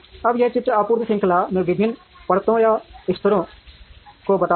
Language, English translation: Hindi, Now, this picture tells us the different layers or levels in the supply chain